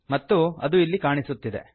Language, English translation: Kannada, And this has appeared here